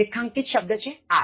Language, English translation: Gujarati, Underlined word are, 5